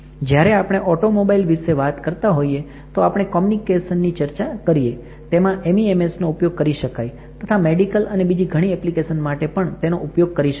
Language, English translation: Gujarati, When we are talking about automobile, we are talking about communication we were we can use the MEMS in medical and in several other applications